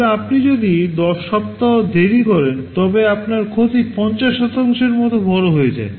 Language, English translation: Bengali, But if you are delayed by 10 weeks, your loss becomes as large as 50%